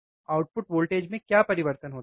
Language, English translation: Hindi, What is change in output voltage